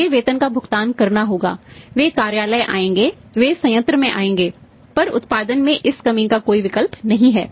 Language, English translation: Hindi, Their salaries have to be paid they will come to office; they will come to the plant, if there is no production for this reduction in the production